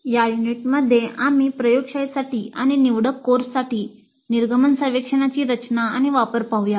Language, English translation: Marathi, So in this unit we look at the design and use of exit surveys for laboratory and electric courses